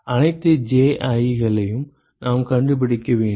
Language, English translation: Tamil, We need to find out all the Ji’s